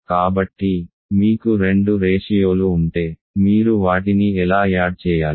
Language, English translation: Telugu, So, if you gave if you have two ratios how do you add them